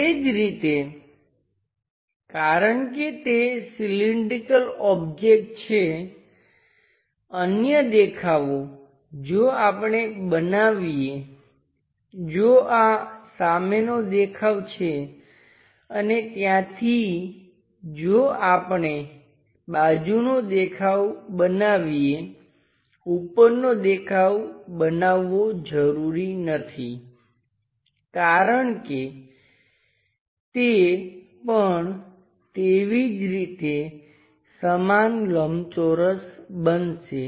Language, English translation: Gujarati, Similarly because it is a cylindrical object, the other view if we are making if this one is the front view and from there if we are making side view, making top view, not necessary because that is anyway going to create same rectangle within that portion